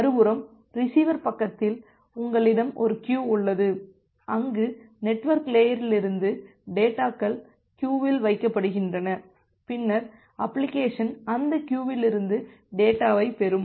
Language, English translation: Tamil, On the other hand that the receiver side, you have a queue where the data from the network layer is put into the queue and then the application will fetch the data from that queue